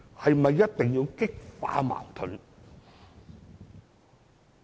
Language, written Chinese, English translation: Cantonese, 是否一定要激化矛盾？, Is it necessary to intensify the conflicts?